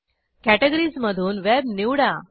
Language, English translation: Marathi, From the Categories, choose Web